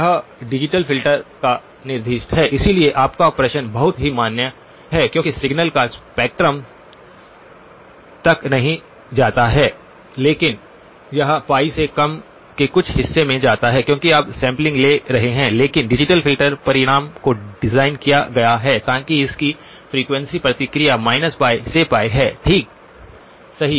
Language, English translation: Hindi, This is the specification of the digital filter, so your question is very valid because the spectrum of the signal does not go all the way to pi but it goes to some portion less than pi because you are sampling but the digital filter result is designed so that it has a frequency response from minus pi to pi right